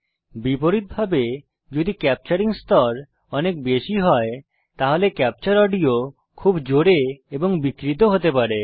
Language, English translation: Bengali, Conversely, if the capturing level is set too high, the captured audio may be too loud and distorted